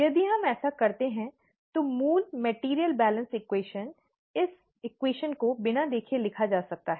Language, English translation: Hindi, If we do that, the basic material balance equation, this equation can be blindly written